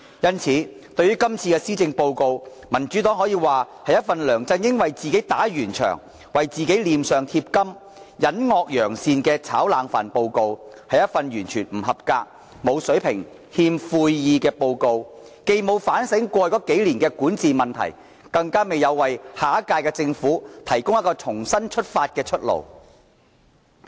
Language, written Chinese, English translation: Cantonese, 因此，對於這份施政報告，民主黨只可以說是一份梁振英為自己打圓場、為自己臉上貼金、隱惡揚善的"炒冷飯"報告，是一份完全不合格、沒有水平、欠悔意的報告，既沒有反省過去數年的管治問題，亦未有為下屆政府提供一條重新出發的出路。, Therefore with regard to this Policy Address the Democratic Party can only take it for a report under which LEUNG Chun - ying attempts to justify and glorify himself and to hide his wrongdoings while bragging about himself by repeating any previous achievements . Such a report is totally not up to standard and without quality nor is it showing any remorse in him . He has not introspected about the problems of his governance over the last few years neither has he offered a way out for the next Government so that it can restart afresh